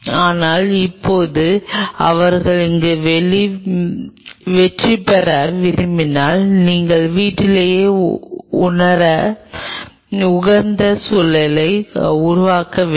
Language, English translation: Tamil, but now, if you want them to succeed there, you have to create a conducive environment for them to feel at home